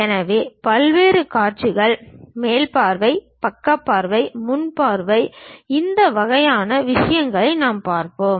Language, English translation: Tamil, So, different views, top view, side view, front view these kind of things we will see